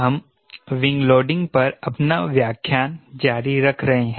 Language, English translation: Hindi, we are continuing our lecture on wing loading